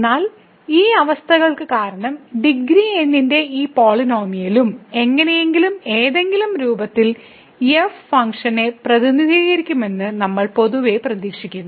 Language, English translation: Malayalam, But in general also we expect that because of these conditions that this polynomial of degree and somehow in some form will represent the function